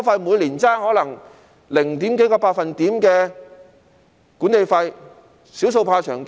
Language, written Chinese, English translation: Cantonese, 每年可能相差零點幾個百分點的管理費，"少數怕長計"。, The management fee that possibly differs by a fraction of a percentage point per annum may amount to a large sum over a long course